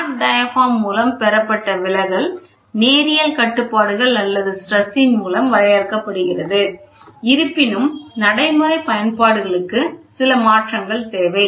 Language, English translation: Tamil, The deflection attained by the flat diaphragm is limited by linearity constraints or stress requirements; however, for practical applications, some modifications are required